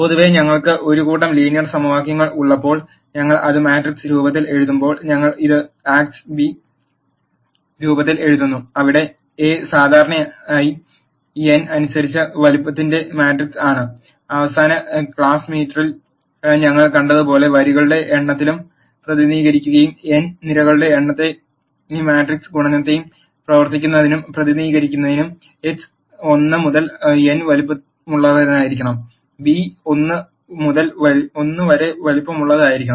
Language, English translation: Malayalam, In general when we have a set of linear equations, when we write it in the matrix form, we write this in the form Ax equal to b where A is generally a matrix of size m by n, and as we saw in the last class m would represent the number of rows and n would represent the number of columns, and for matrix multiplication to work, x has to be of size n by 1 and b has to be of size m by 1